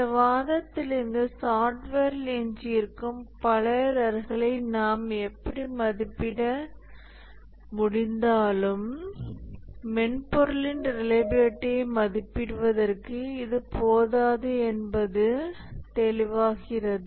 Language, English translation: Tamil, From this argument, it is clear that even if we are somehow been able to estimate a number of errors remaining in software, that is not enough to estimate the reliability of the software